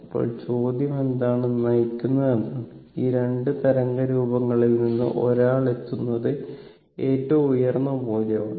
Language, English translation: Malayalam, Now question is that what is leading, and you have to see that out of this 2 wave form which one is reaching it is peak value